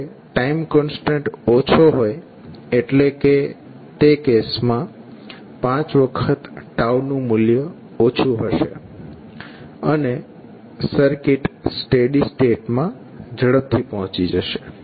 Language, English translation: Gujarati, When time constant is small, means 5 into time constant would be small in that case, and the circuit will reach to steady state value quickly